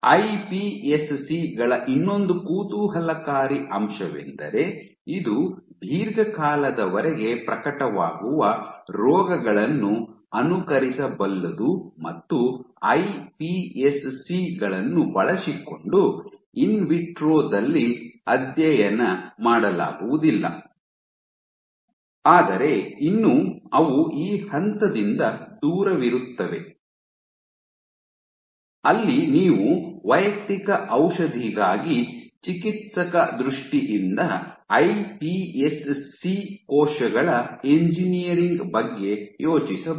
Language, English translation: Kannada, The other interesting aspect of iPSCs is you can simulate diseases which take long term to manifest and cannot be studied in vitro using iPSCs, but still they are far from that stage you can think of therapeutically engineering iPS cells for personalized medicine